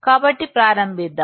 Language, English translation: Telugu, So, let’s start